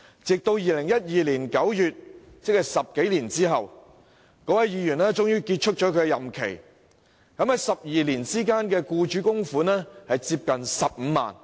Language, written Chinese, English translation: Cantonese, 直至2012年9月，即10多年後，該名助理服務的議員任期結束，而12年間的僱主供款接近15萬元。, When the tenure of office of the Member served by him terminated after more than a decade in September 2012 the amount of contribution made by the Member as an employer over 12 years was close to 150,000